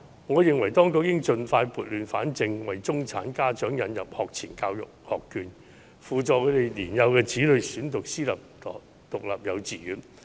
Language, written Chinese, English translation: Cantonese, 我認為當局應盡快撥亂反正，為中產家長引入學前教育學券，補助他們的年幼子女選讀私立獨立幼稚園。, In my view the authorities should expeditiously rectify the situation by introducing pre - primary education vouchers to subsidize middle - class parents to enrol their young children in private independent kindergartens